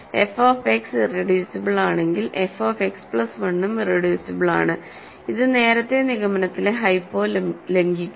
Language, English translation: Malayalam, If f X is reducible f X plus 1 is also reducible violating the hypo the conclusion earlier